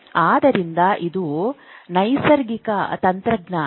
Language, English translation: Kannada, So, this is natural technology